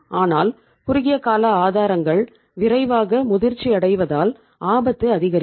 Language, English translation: Tamil, But the risk will increase because short term sources mature quickly